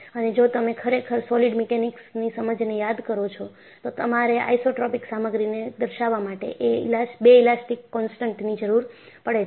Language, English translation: Gujarati, And, if you really recall your understanding of solid mechanics, you need two elastic constants to characterize the isotropic material